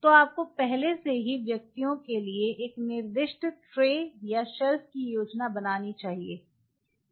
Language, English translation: Hindi, So, you should have already planned a designated trace or shelf for individuals